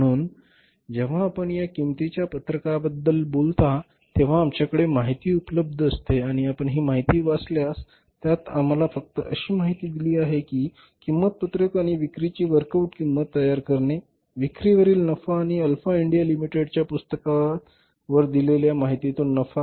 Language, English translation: Marathi, So when you talk about this cost sheet here is the information available with us and if you read this information if you look at this information so we are simply given the data or that information about prepare cost sheet and work out cost of sales and profit from the given information drawn from the books of Alph India Limited